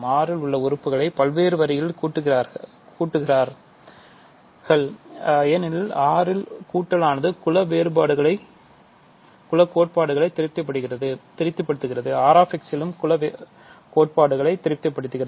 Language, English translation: Tamil, We are adding elements of R in various degrees because addition in R satisfies group axioms addition in R[x] also satisfies group axioms